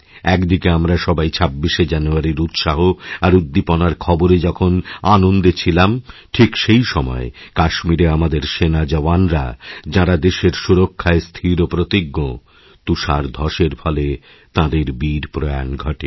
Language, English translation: Bengali, While we were all delighted with the tidings of enthusiasm and celebration of 26th January, at the same time, some of our army Jawans posted in Kashmir for the defense of the country, achieved martyrdom due to the avalanche